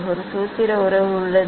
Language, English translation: Tamil, there is a formula relation